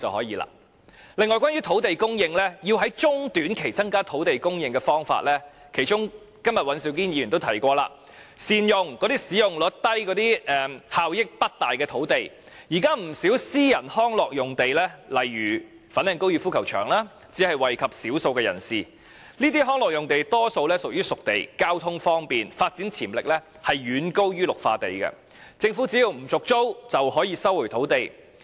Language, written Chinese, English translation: Cantonese, 此外，關於土地供應，在中、短期增加土地供應的方法——今天尹兆堅議員也提過——善用使用率低及效益不大的土地，現時不少私人康樂用地，例如粉嶺高爾夫球場，只惠及少數人士，這些康樂用地屬於"熟地"，既交通方便，發展潛力亦遠高於綠化地，政府只要不續租，便可以收回土地。, Besides insofar as land supply is concerned as mentioned by Mr Andrew WAN today making better use of land of low usage rate and low efficiency are the ways to increase short - term land supply . At present many private recreational sites such as the golf course in Fanling only benefit a small group of people . These recreational sites are disposed sites with great accessibility and higher development potential than green belts